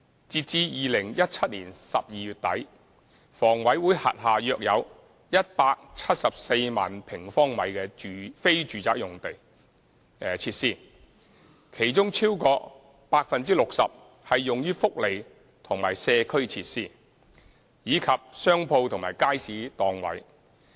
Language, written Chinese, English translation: Cantonese, 截至2017年12月底，房委會轄下約有174萬平方米的非住宅設施，其中超過 60% 是用於福利及社區設施，以及商鋪和街市檔位。, As at end December 2017 there were some 1.74 million sq m of non - domestic facilities under HA among which over 60 % were welfare and community facilities as well as shops and markets stalls